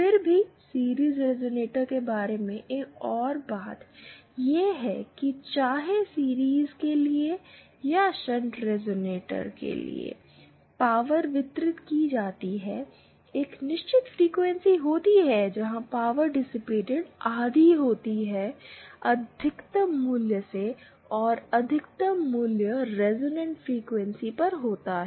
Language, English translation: Hindi, Yah another thing about the series resonator is that, whether for series or shunt resonator is that the power distributed, there is a certain frequency where the power dissipated is half the maximum value and the maximum value occurs at the resonant frequency